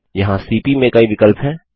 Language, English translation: Hindi, There are many options that go with cp